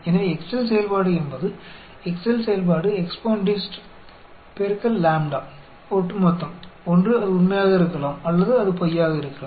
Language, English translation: Tamil, So, Excel function is EXPONDIST; Excel function EXPONDIST x lambda comma cumulative; either it could be true, or it could be false